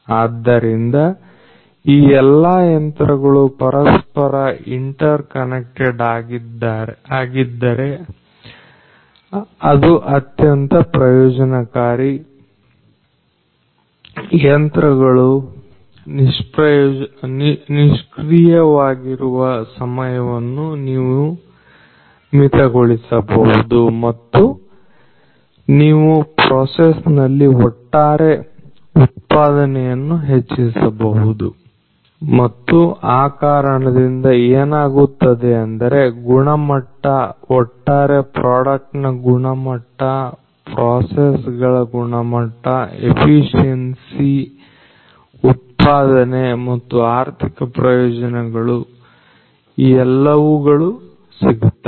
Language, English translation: Kannada, So, all of these machines if they are all interconnected that is going to be the advantage you are going to reduce the down time and you are going to improve the overall productivity in the process and also consequently what is going to happen is the quality overall quality in terms of the product quality in terms of the processes the efficiency the productivity and the economic benefits all of these things are going to come through